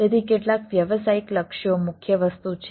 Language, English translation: Gujarati, so, ah, some of the business goals is the major thing we are